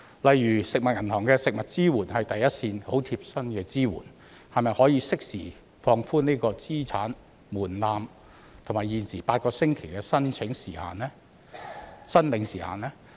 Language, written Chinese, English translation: Cantonese, 例如食物銀行的食物支援是第一線、很貼身的支援，可否適時放寬資產門檻和現時8星期的申領時限呢？, For instance the support on food provided by food banks serves as the first line providing very personal support . Can the asset threshold and the existing 8 - week time limit on food assistance be relaxed in a timely manner?